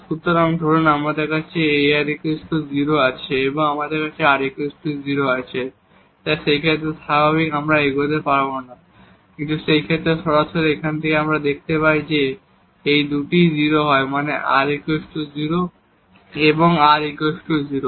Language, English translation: Bengali, So, suppose we have a r 0 and we have t is equal to also 0, so in that case naturally we cannot proceed in this way, but in that case directly from here we see that if these 2 are 0 r is 0 and t is 0